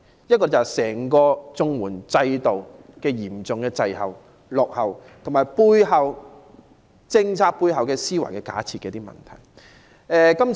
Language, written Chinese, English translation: Cantonese, 一，是整個綜援制度嚴重滯後、落後，其次是政策背後在思維上的一些假設。, First the CSSA system as a whole is in a serious lag . Second the policy has revealed certain presumptions and the mentality behind it